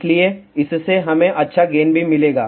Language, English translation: Hindi, So, this will also give us decent gain also